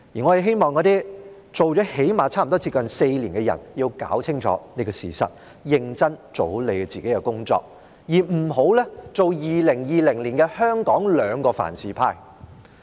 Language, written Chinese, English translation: Cantonese, 我希望那些做了差不多4年議員的人要弄清楚這個事實，認真做好你們的工作，而不要做2020年香港的"兩個凡是"派。, For those people who have been Members of this Council for nearly four years I hope that they are clearly aware of this fact and will perform their duties seriously rather than championing the two whatevers in Hong Kong in 2020